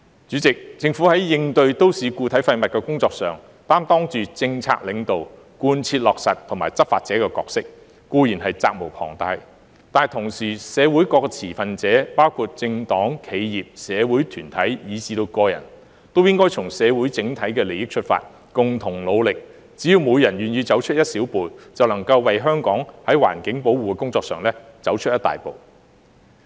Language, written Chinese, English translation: Cantonese, 主席，政府在應對都市固體廢物的工作上，擔當着政策領導、貫徹落實和執法者的角色，固然是責無旁貸，但同時，社會各持份者，包括政黨、企業、社會團體以至個人，也應從社會整體利益出發，共同努力，只要每人願意走出一小步，便能為香港的環境保護工作走出一大步。, President in tackling municipal solid waste the Government plays the role of a policy leader implementer and law enforcer . It certainly cannot shirk its responsibility . Yet at the same time various stakeholders in society including political parties enterprises social organizations and individuals should also work together in the overall interest of society